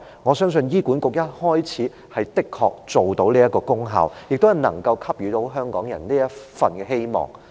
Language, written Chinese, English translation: Cantonese, 我相信醫管局開始時的確能達到這功效，亦能給予香港人這份希望。, I think at the beginning HA could really achieve that effect and could give some hope to Hong Kong people